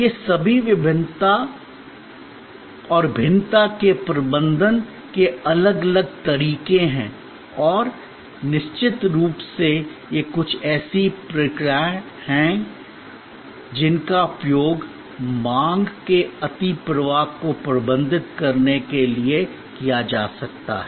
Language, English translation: Hindi, These are all different ways of managing the perishability and of course, these are certain similar processes can be used to manage demand overflow